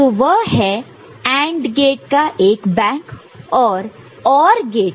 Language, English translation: Hindi, So, that is one bank of AND gate and there is OR gate